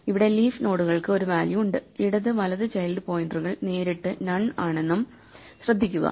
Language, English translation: Malayalam, Here, notice that in the leaf nodes the leaf nodes have a value and both the child pointers left and right are directly none